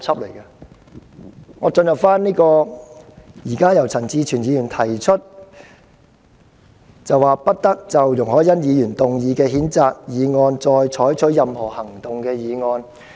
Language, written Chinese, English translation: Cantonese, 讓我開始討論由陳志全議員提出"不得就容海恩議員動議的譴責議案再採取任何行動"的議案。, Let me begin to discuss Mr CHAN Chi - chuens motion that no further action shall be taken on the censure motion moved by Ms YUNG Hoi - yan